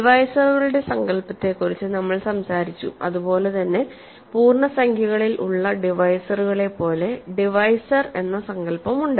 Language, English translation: Malayalam, So, we talked about the notion of divisors, just like we have the notion of divisors in integers we have divisors